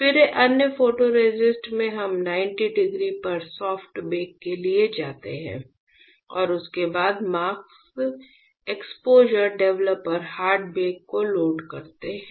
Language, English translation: Hindi, Then in other photoresist we go for soft bake at 90 degree followed by loading the mask exposure developer hard bake